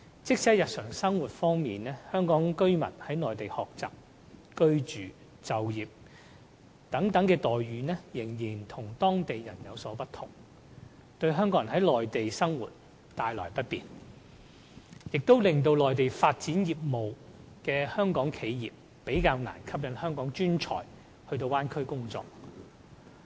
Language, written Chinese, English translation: Cantonese, 即使在日常生活方面，香港居民在內地學習、居住、就業等方面的待遇，仍與當地人有所不同，對在內地生活的港人構成不便，亦令在內地發展業務的香港企業較難吸引香港專才到大灣區工作。, Even in their daily lives those Hong Kong people living in the Mainland are still treated differently from the locals in many ways such as education housing and employment . This causes inconvenience to Hong Kong people and also makes it more difficult for Hong Kong enterprises operating in the Mainland to induce Hong Kong professional talents to work in the Bay Area . We will grasp this opportunity of Bay Area development